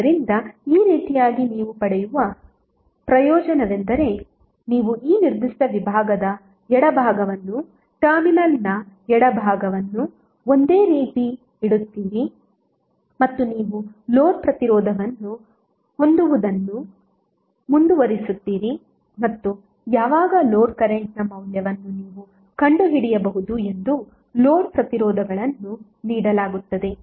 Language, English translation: Kannada, So in this way the benefit which you will get is that you will keep the left of this particular segment, the left of the terminal a b same and you will keep on bearing the load resistance and you can find out the value of load current when various load resistances are given